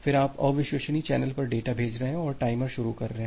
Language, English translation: Hindi, Then you are sending the data over unreliable channel and starting the timer